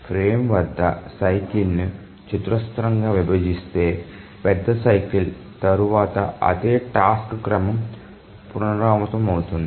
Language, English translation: Telugu, If the frame squarely divides the major cycle, then after the major cycle the same task sequence will repeat